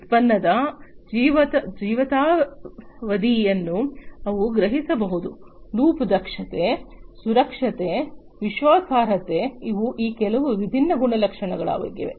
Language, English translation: Kannada, And they can sense product lifetime, loop efficiency, safety, reliability these are some of these different properties